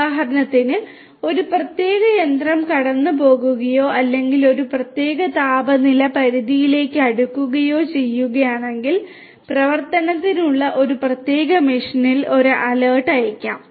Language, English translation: Malayalam, For example, if a particular machine is crossing or become coming close to a particular temperature threshold then an alert could be sent in a particular you know machine in operation